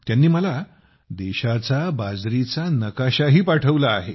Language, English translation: Marathi, She has also sent me a millet map of the country